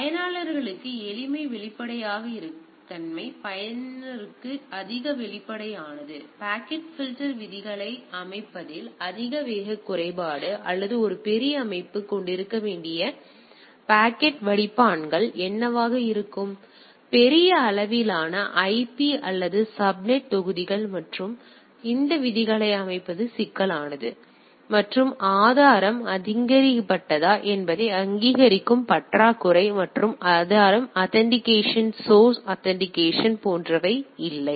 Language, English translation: Tamil, So, advantages simplicity transparency to user, higher transparent to user, higher speed disadvantage difficult for setting up packet filter rules right; so, what should be the packet filters rules a large organisation may have, huge amount of IP or subnet blocks and then setting these rules are cumbersome and lack of authentication whether the source is authenticated source authenticated etcetera are not there